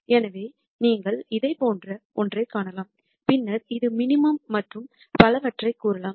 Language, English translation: Tamil, So, you could see something like this and then say this is the minimum and so on